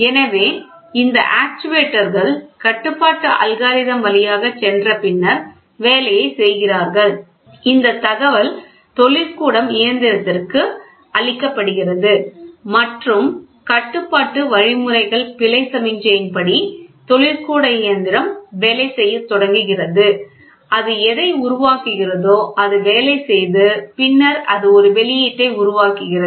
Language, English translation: Tamil, So, these actuators do the job after going through the control algorithm then this is given information to the plant and plant starts working as per the control algorithms error signal whatever it is getting generated, it works and then, it produces an output